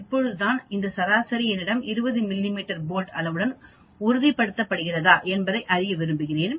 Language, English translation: Tamil, Now I want to know whether this average confirms with that 20 mm bolts size which I have mentioned in my catalog